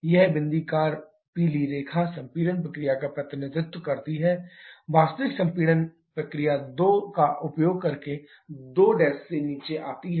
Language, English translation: Hindi, This dotted yellow line represents the compression process, actual compression process using the point 2 to come down to 2 prime